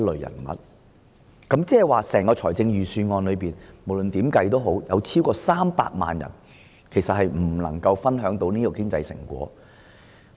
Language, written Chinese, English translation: Cantonese, 意思是，不論如何計算，超過300萬人未能夠透過預算案分享經濟成果。, In other words no matter how we put this calculation over 3 million people cannot share the fruit of economic prosperity from the Budget